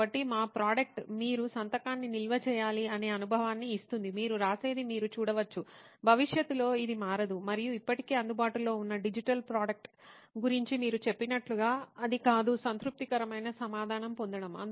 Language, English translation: Telugu, So our product it gives the same experience where you can store the signature, you can see whatever you write, it will not get changed in the future and on top of that like you said about the digital product that are already available, you are not getting a satisfactory answer